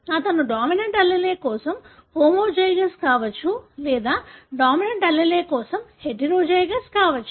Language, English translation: Telugu, He could be homozygous for the dominant allele or heterozygous for the dominant allele